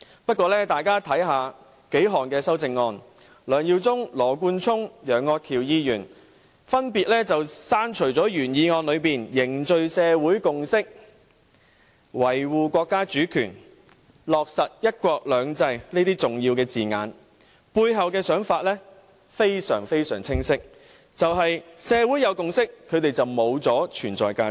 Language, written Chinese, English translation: Cantonese, 不過，大家只要看看數項修正案，便會發現梁耀忠議員、羅冠聰議員和楊岳橋議員分別刪除了原議案中"凝聚社會共識、維護國家主權、貫徹落實'一國兩制'"等重要字眼，背後的原因非常清晰，便是一旦社會有共識，他們便會失去存在價值。, That said if Members read the several amendments they will be able to see that Mr LEUNG Yiu - chung Mr Nathan LAW and Mr Alvin YEUNG have deleted the important wording building social consensus safeguard the countrys sovereignty fully implement one country two systems from the original motion . The reason behind is very obvious once a social consensus is forged they will lose their point of existence